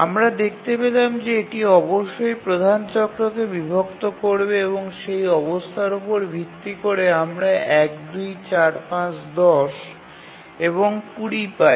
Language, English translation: Bengali, So, we find that it must divide the major cycle and based on that condition we get 1, 2, 4, 5, 10 and 20